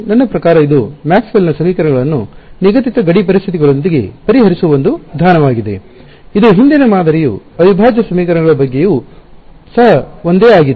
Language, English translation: Kannada, I mean it is a method of solving Maxwell’s equations with prescribed boundary conditions, which is what the earlier model was also about integral equations was also the same thing